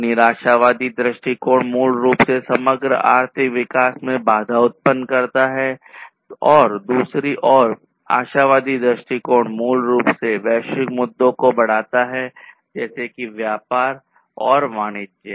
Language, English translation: Hindi, So, pessimistic view basically effects, hinders the overall economic growth, on the other hand, and the optimistic view on the other hand, basically, increases the globalization issues such as trade and commerce